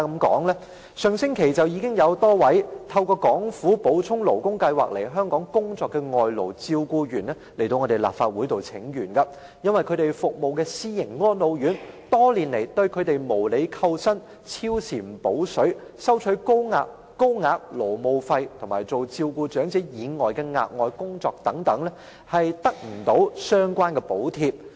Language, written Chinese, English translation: Cantonese, 在上星期，便有多位透過港府補充勞工計劃來港工作的外勞照顧員到立法會請願，他們所服務的私營安老院多年來對他們無理扣薪、加班沒有"補水"、收取高額勞務費，以及要他們負責照顧長者以外的額外工作，卻又無法得到相關補貼。, Last week a number of non - local personal care workers who had come to work in Hong Kong through the Supplementary Labour Scheme of the Government presented a petition to the Legislative Council . They complain that the elderly care home where they work has been unreasonably withholding their wages defaulting overtime pay charging high labour service fees and asking them to do additional work on top of elderly care without subsidies